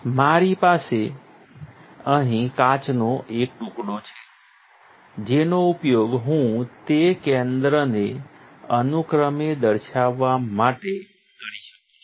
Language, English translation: Gujarati, I have a piece of glass here that I can use to demonstrate the center that respectively